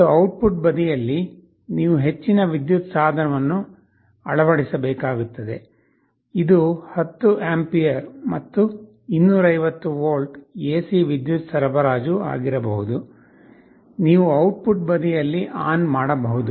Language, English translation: Kannada, And on the output side, you are supposed to connect a higher power device, this can be 10 ampere and up to 250 volt AC power supply, you can switch ON the output side